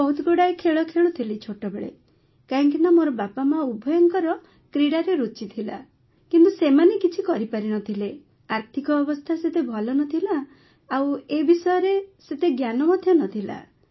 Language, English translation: Odia, So I used to play a lot of games in my childhood, because both my parents were very much interested in sports, but they could not do anything, financial support was not that much and there was not that much of information available